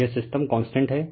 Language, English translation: Hindi, So, it is system is constant